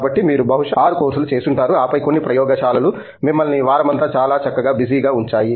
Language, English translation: Telugu, So, you probably did like about 6 courses and then a couple of labs that kept you busy, pretty much all week